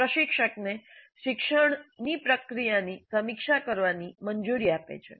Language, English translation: Gujarati, This allows the instructor to review the process of learning